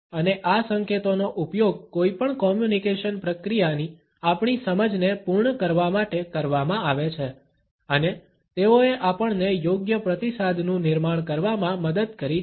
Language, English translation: Gujarati, And these indications used to complete our understanding of any communication process and they also helped us in generating a proper feedback